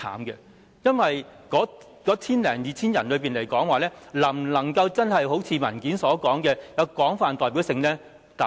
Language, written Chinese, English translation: Cantonese, 因為那千多人是否能夠真的如文件所述，具有廣泛代表性呢？, Could those 1 000 - odd people really be that broadly representative as the papers depicted?